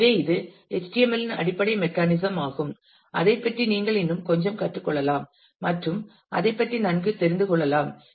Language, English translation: Tamil, So, this is the basic mechanism of HTML you can learn little bit more about that and get familiar with it